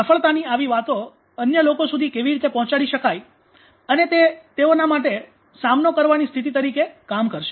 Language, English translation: Gujarati, How these success stories could be passed on to the other peoples and it will act as you know coping status for them